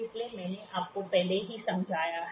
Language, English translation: Hindi, So, I have already explained to you